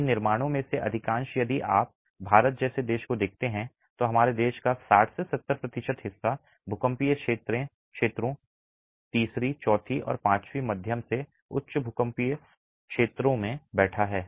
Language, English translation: Hindi, Majority of these constructions, if you look at a country like India, 60 to 70 percent of our land mass is sitting in seismic zones 3, 4 and 5, moderate to high seismic zones